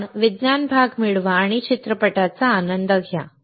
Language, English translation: Marathi, So, get the science part and enjoy the movie right see